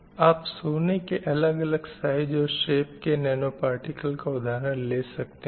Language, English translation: Hindi, So these are the gold nanoparticles of different size and different shape